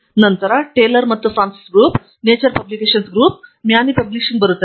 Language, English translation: Kannada, And then, comes the Taylor and Francis group, Nature Publications group and Maney Publishing